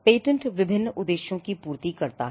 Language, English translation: Hindi, Patent serve different purposes